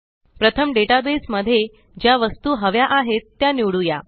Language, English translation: Marathi, First, lets select the items which we require in the database